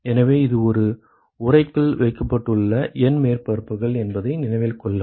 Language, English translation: Tamil, So, note that this is N surfaces placed in an enclosure ok